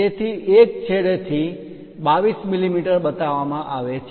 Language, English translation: Gujarati, So, from one end it is shown 22 mm this one